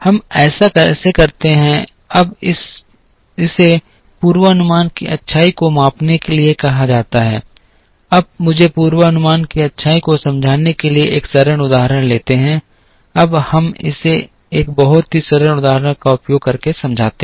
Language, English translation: Hindi, How do we do that, now that is called measuring the goodness of a forecast, now let me take a simple example to explain the goodness of the forecast, now let us explain it using a very simple example